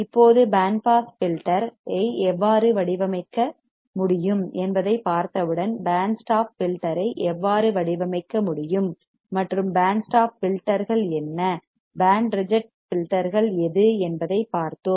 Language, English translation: Tamil, Now, once we have seen how the band pass filter can be designed, let us see how band stop filter can be designed, and what are band stop filters, what are band reject filters right